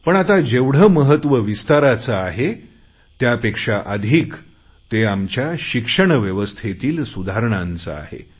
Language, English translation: Marathi, But today more than expanding education what is necessary is to improve the quality of education